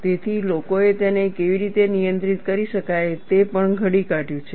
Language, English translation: Gujarati, So, people have also devised how this could be handled